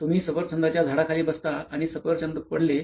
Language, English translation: Marathi, Do you sit under an apple tree and the apple fell